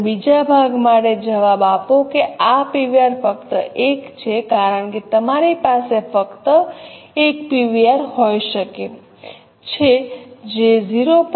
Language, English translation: Gujarati, Actually, answer for the second part, that is this PVR is only one because you can have just one PVR which is 0